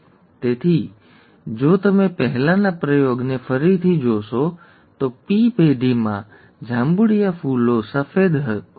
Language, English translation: Gujarati, Therefore, if you look at the earlier experiment again, the P generation had purple flowers, white flowers